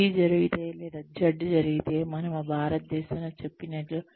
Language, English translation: Telugu, If zee happens, or Z happens, as we say it in India